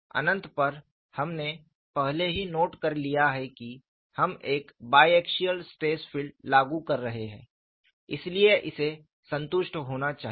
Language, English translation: Hindi, At infinity, we have already noted that we are applying biaxial stress field, so this should be satisfied